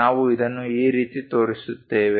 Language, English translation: Kannada, This is the way we show it